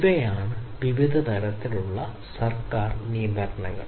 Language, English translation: Malayalam, So, these are the different types of government regulations